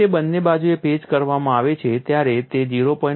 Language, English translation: Gujarati, 36 or so when it is patched on both sides it is 0